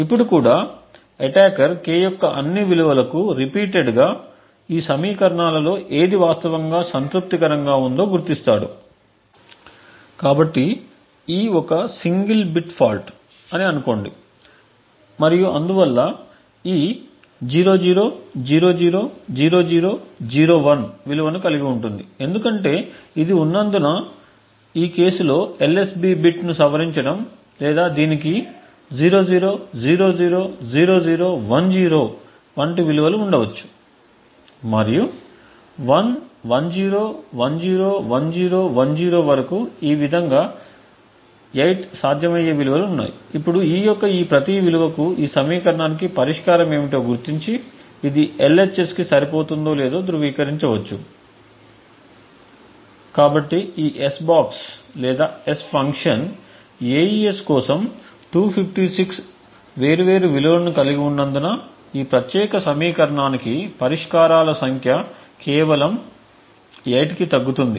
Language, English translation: Telugu, Now also what the attacker could then do is iterate to all possible values of k and identify which of these equations are actually satisfied, so let us say that e is a single bit fault and therefore e could have a value either 00000001 because it is in this case modifying the LSB bit or it could have values like 00000010 and so on to up to 10000000 thus there are 8 possible values for e, now for each of these possible values of e one can identify what is the solution for this equation and validate whether it is matching the LHS, so since this s box or the s function has 256 different values for AES the number of solutions for this particular equation reduces down to just 8